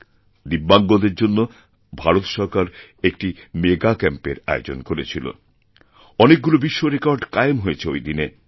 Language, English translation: Bengali, Government of India had organized a Mega Camp for DIVYANG persons and a number of world records were established that day